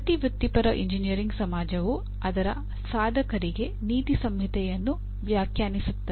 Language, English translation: Kannada, Every professional engineering society will define a code of ethics for its practitioners